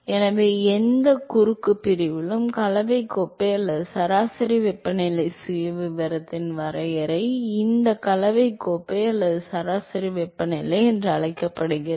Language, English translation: Tamil, So, that is the definition of mixing cup or average temperature profile at any cross section, it is called the mixing cup or average temperature